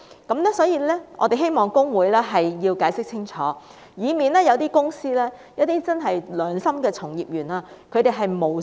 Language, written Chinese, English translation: Cantonese, 因此，我們希望公會解釋清楚，以免一些公司的良心從業員誤墮法網。, We hope that HKICPA can give us a clear explanation so that honest practitioners of companies will not be inadvertently caught by the law